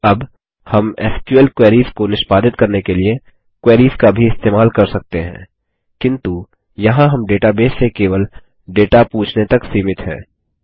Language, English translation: Hindi, Now, we can also use Queries to execute SQL queries, but there we are limited to only asking for data from the database